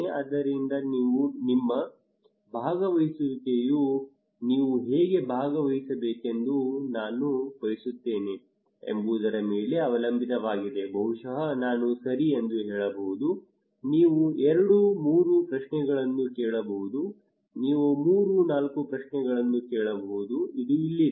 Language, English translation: Kannada, So your participation depends on that how I want you to participate maybe I can say okay you can ask two three questions you can ask three four questions that is it